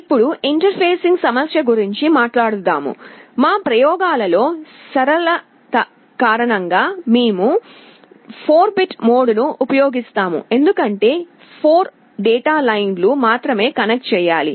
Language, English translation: Telugu, Now talking about the interfacing issue; in our experiments because of simplicity, we shall be using the 4 bit mode, because only 4 data lines have to be connected